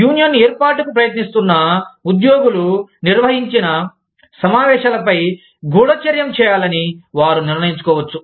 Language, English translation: Telugu, They may decide to spy on the meetings, that have been conducted by employees, who are trying to form a union